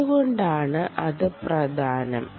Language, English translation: Malayalam, why is that important